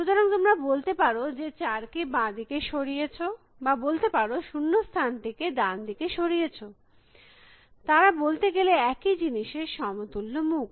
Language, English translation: Bengali, So, you can either say that you are moved four to the left or you can say that, you have moved the blank to the right; they are just equivalent face of saying the same thing